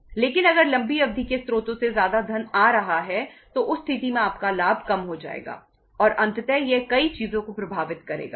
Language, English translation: Hindi, But if the funds from long term sources is coming more in that case your profit will go down and uh ultimately it will impact many things